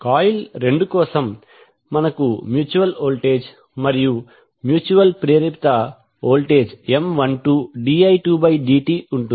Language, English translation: Telugu, So for coil two, we will have the mutual voltage and a mutual induced voltage M 12 di 2 by dt